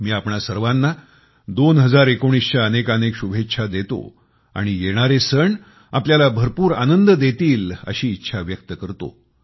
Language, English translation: Marathi, I wish all of you a great year 2019 and do hope that you all to enjoy the oncoming festive season